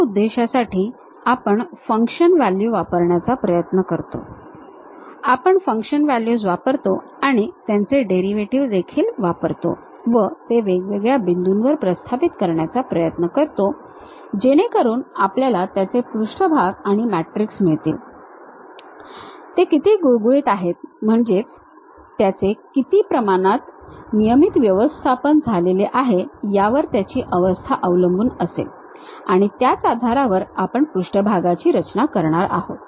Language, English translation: Marathi, For that purpose, we try to use the function values, we use the function values and also their derivatives try to impose it different points to get that surface and that matrix based on how smooth that is how regularly it is conditioned or ill conditioned based on that we will be going to construct these surfaces